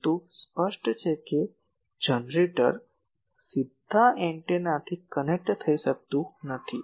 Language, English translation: Gujarati, But obviously, the generator cannot directly connect to the antenna